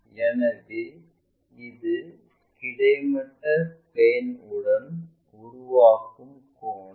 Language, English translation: Tamil, So, this is the angle which is making with that horizontal plane